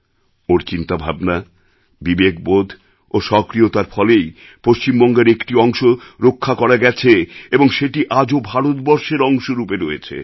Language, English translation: Bengali, It was the result of his understanding, prudence and activism that a part of Bengal could be saved and it is still a part of India